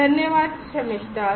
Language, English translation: Hindi, Thank you Shamistha